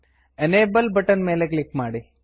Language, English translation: Kannada, Click on the Enable button